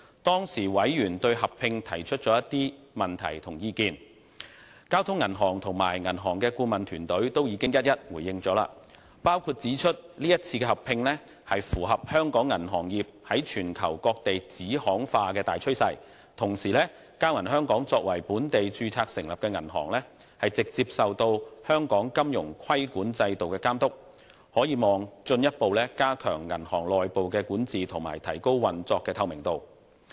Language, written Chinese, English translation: Cantonese, 當時委員對合併提出了的問題和意見，交通銀行及銀行的顧問團隊均已一一回應，指出這一次合併符合香港銀行業在全球各地子行化的大趨勢；同時，交銀香港作為本地註冊成立的銀行，直接受香港金融規管制度監督，可望進一步加強銀行內部管治，以及提高運作的透明度。, Regarding the merger members raised at that time some questions and comments each of which was then replied to by Bank of Communications and its team of advisers . They indicated that the merger in question followed subsidiarization a global megatrend in the industry . In addition as Bank of Communications Hong Kong is incorporated locally it is under the direct supervision of the financial regulatory regime in Hong Kong and this will hopefully further enhance its internal governance and the operational transparency